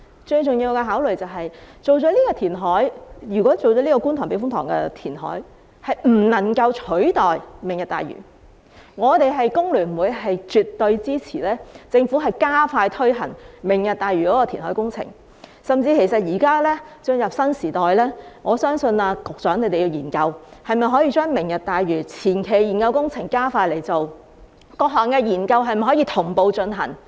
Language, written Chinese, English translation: Cantonese, 最重要的考慮是，如果在觀塘避風塘進行填海不能夠取代"明日大嶼"，我們工聯會絕對支持政府加快推行"明日大嶼"的填海工程，甚至現已進入新時代，我相信局長需研究，可否把"明日大嶼"的前期研究工程加快進行，以及各項研究可否同步進行。, The most important consideration is that if the Kwun Tong Typhoon Shelter KTTS reclamation cannot substitute the Lantau Tomorrow Vision we HKFTU will absolutely support the Government to expeditiously take forward the reclamation works for the Lantau Tomorrow Vision . Furthermore as we have entered a new era I believe that the Secretary needs to examine whether the preliminary study on the Lantau Tomorrow Vision can be expedited and whether the various studies can be conducted in parallel